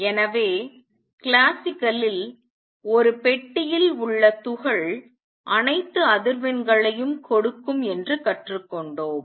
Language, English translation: Tamil, So, classically just learnt that particle in a box will give all frequencies